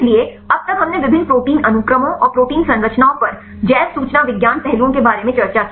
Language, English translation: Hindi, So, till now we discussed about the bioinformatics aspects on the different protein sequences and protein structures